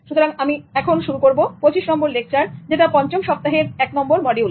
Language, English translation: Bengali, And then to start with, I'll be starting with lecture number 25 on 5th week, module number 1